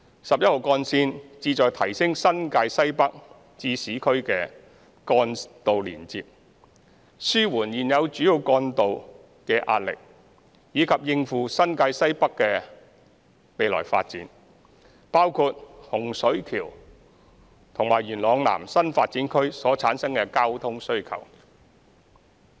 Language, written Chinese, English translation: Cantonese, 十一號幹線旨在提升新界西北至市區的幹道連接，紓緩現有主要幹道的壓力，以及應付新界西北的未來發展，包括洪水橋及元朗南新發展區所產生的交通需求。, Route 11 serves to enhance the connectivity of roads between Northwest New Territories and the urban areas ease the pressure on the existing major roads and cope with the future development of Northwest New Territories including the traffic demand generated by the new development area in Hung Shui Kiu and Yuen Long South